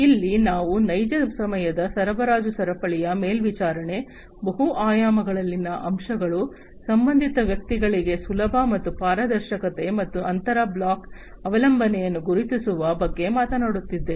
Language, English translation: Kannada, Here we are talking about real time monitoring of supply chain, elements in multiple dimensions, ease and transparency for related personal, and identification of inter block dependency